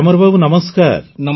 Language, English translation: Odia, Gyamar ji, Namaste